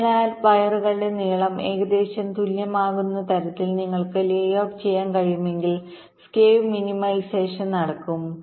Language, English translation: Malayalam, so if you can layout the wires in such a way that the lengths are all approximately the same, then skew minimization will take place